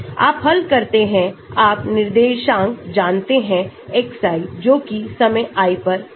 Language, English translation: Hindi, As you solve, you know the coordinates xi at a time at i